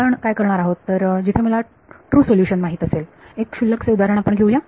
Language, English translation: Marathi, What we will do is, we will take a trivial example where I know the true solution ok